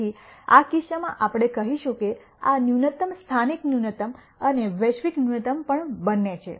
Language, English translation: Gujarati, So, in this case we would say that this minimum is both a local minimum and also a global minimum